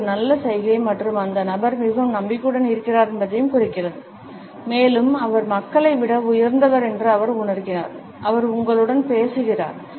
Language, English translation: Tamil, This is a good gesture and it means that the person is very confident and it can also indicate that, she feels that she is superior to the people, she is talking to you